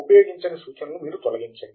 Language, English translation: Telugu, Unused references can then be deleted